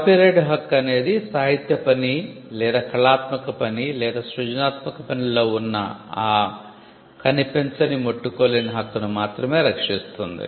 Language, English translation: Telugu, The copyright regime protects the intangible right in the literary work or artistic work or creative work